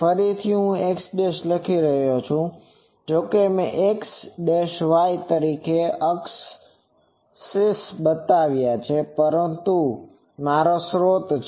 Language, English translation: Gujarati, Again, I am writing x dashed though I have shown axis as x y, but since this is my source